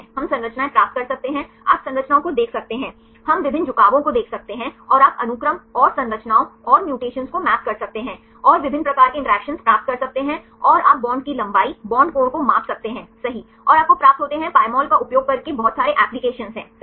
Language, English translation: Hindi, We can get the structures, you can view the structures, we can see the various orientations, and you can map sequence and structures and the mutations, and get different types of interactions and you can measure the bond length, bond angle right and you get a lot of applications right for by using Pymol